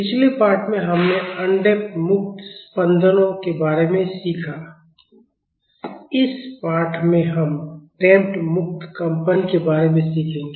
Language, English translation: Hindi, In the previous lesson, we learned about undamped free vibrations; in this lesson we will be learning about Damped Free Vibration